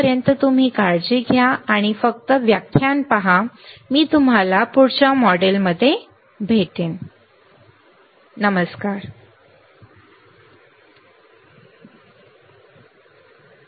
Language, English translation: Marathi, Till then you take care and just look at the lecture I will see you in the next module bye